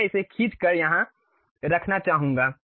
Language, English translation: Hindi, I would like to move it drag and place it here